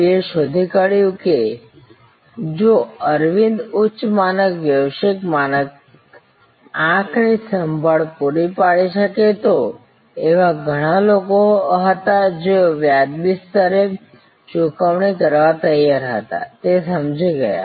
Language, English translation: Gujarati, V found that if Aravind could provide high standard global standard eye care, there were many people who were willing to pay at a reasonable level, he understood that he could create a global standard facility